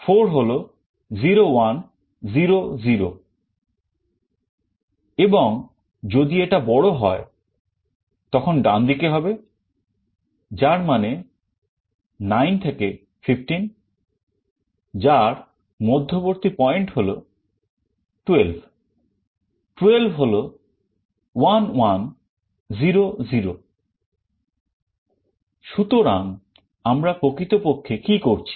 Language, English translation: Bengali, And on the right hand side if it is greater; that means, 9 to 15, middle point of it is 12, 12 is 1 1 0 0